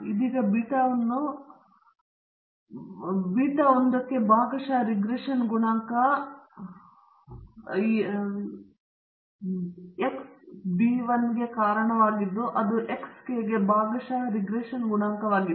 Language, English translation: Kannada, By now you should know that this comprises of beta naught which is the intercept and then beta 1 the partial regression coefficient to X 1 so on to beta k, which is a partial regression coefficient to X k